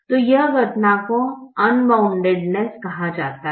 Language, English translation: Hindi, so this phenomenon is called unboundedness